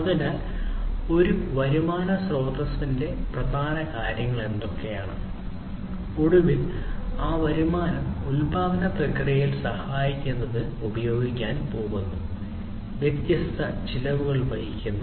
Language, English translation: Malayalam, So, what are the different sources of the revenues that is the revenue stream and finally, that revenue is going to be used in order to help in the manufacturing process; incurring the different costs